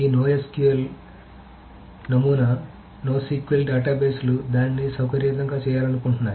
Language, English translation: Telugu, So this no SQL paradigm, the no SQL databases wanted to make it flexible